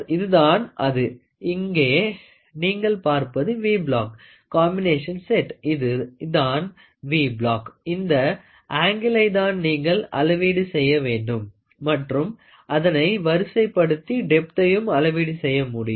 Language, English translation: Tamil, So, here is a V block combination set, here is a V block, here is an angle which you want to measure and you also can measure the depth of it by aligning it